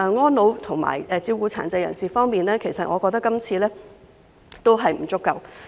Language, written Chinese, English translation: Cantonese, 安老和照顧殘疾人士方面，我認為這份預算案的措施仍然不足。, I do not think the measures in this Budget is enough in respect of care services for the elderly and people with disabilities PWDs